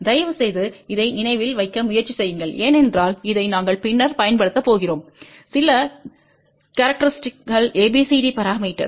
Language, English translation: Tamil, Please try to remember this because we are going to use this later on, few properties of ABCD parameter